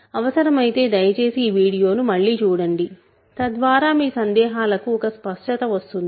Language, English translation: Telugu, So, if you need to, please see this video again so that all the ideas are clear in your mind